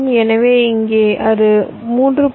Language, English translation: Tamil, so here it should be